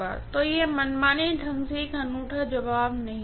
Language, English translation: Hindi, So it will not be a unique answer arbitrarily